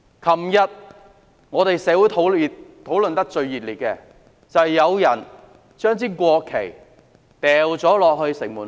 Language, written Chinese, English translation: Cantonese, 昨天，社會上討論得最熱烈的事件，就是有人將國旗掉進城門河......, Yesterday an incident became the talk of the town and it was about a national flag which had been thrown into Shing Mun River